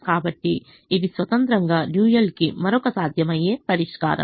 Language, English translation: Telugu, so this is, independently, another feasible solution to the dual